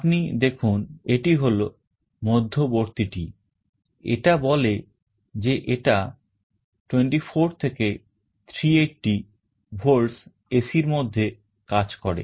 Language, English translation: Bengali, You see this is the middle one, it says that it works from 24 to 380 volts AC